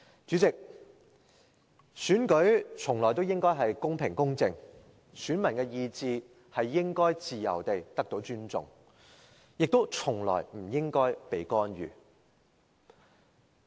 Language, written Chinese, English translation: Cantonese, 主席，選舉從來都應該是公平、公正，選民的意志應該得到尊重，亦從來不應該被干預。, President election should invariably be conducted in a fair and impartial manner and the will of electors should be respected and should never be interfered